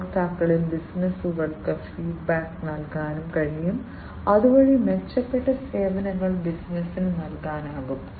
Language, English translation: Malayalam, The customers can provide feedback to the businesses, so that the improved services can be offered by the business